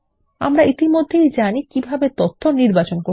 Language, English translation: Bengali, We have already learnt how to select data